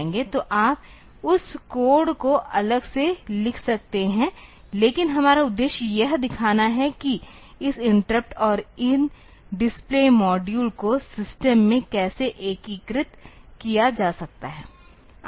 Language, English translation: Hindi, So, you can write that code separately, but our purpose is to show how this interrupt and these display modules they can be integrated into the system